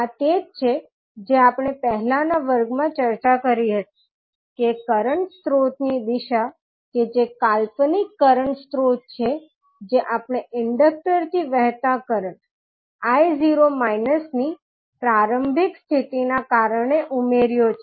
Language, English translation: Gujarati, This is what we discussed in the previous class that the direction of the current source that is the fictitious current source which we added because of the initial condition of a current I naught flowing through the inductor